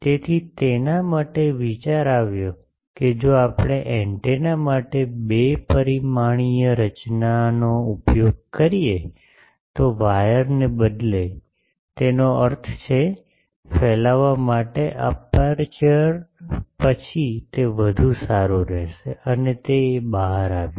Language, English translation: Gujarati, So, for that the idea came that instead of wires if we use a two dimensional structure for antenna; that means, aperture to radiate, then it will be better and it turned out